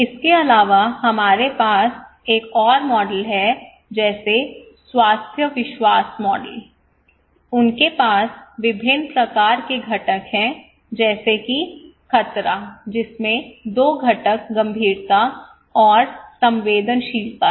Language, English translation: Hindi, Also we have another models like health belief models, they have various kind of components like threat which has two components severity and susceptibility